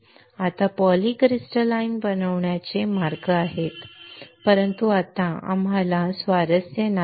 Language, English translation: Marathi, Now there are ways of making a polycrystalline, but right now we are not interested